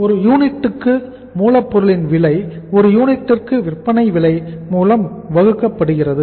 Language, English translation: Tamil, So cost of raw material per unit, cost of raw material per unit divided by selling price per unit, selling price per unit